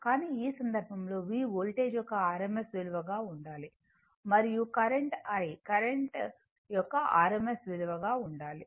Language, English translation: Telugu, But, in this case, V should be rms value of the voltage and I should be rms value of the current right